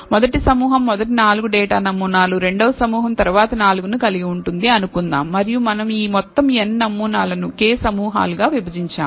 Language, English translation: Telugu, So, let us say the first group contains, let us say, the first 4 data samples the second group contains the next 4 and so on, so forth and we have divided this entire n samples into k groups